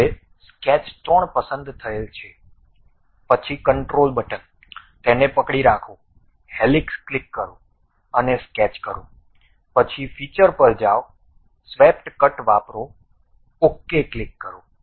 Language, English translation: Gujarati, Now, sketch 3 is selected, then control button, hold it, click helix, and also sketch, then go to features, use swept cut, click ok